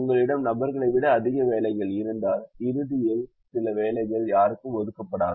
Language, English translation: Tamil, if you have more people than jobs, then some people will not get jobs